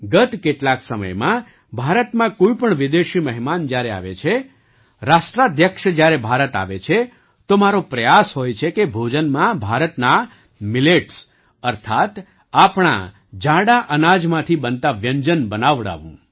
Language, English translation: Gujarati, For the last some time, when any foreign guests come to India, when Heads of State comes to India, it is my endeavor to get dishes made from the millets of India, that is, our coarse grains in the banquets